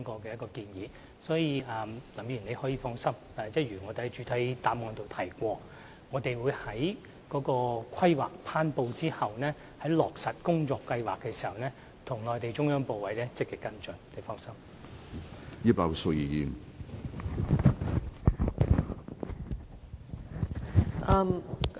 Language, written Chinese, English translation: Cantonese, 林議員可以放心，正如我在主體答覆中指出，我們會在《規劃》頒布後，在落實工作計劃時，與內地中央部委積極跟進。, Mr LAM can rest assured . As I have pointed out in the main reply after the promulgation of the Development Plan we will follow it up actively with the Mainland central ministries during the implementation of the work plans